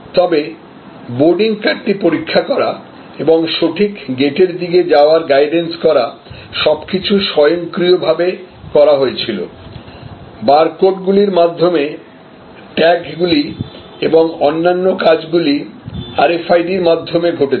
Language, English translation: Bengali, But, the checking of the boarding card and checking of the guidance to the right gate, everything was automated, everything happen through RFID, tags through barcodes and so on and so forth